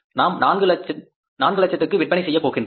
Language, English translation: Tamil, We are going to sell that is a 400,000